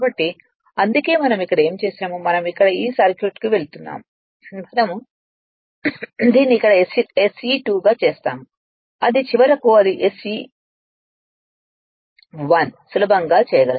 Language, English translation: Telugu, So, that is why whatever we we have made it here whatever we have made it here I am going to this circuit, whatever we made it here SE 2 then it is ultimately it is SE 1 easily you can make it right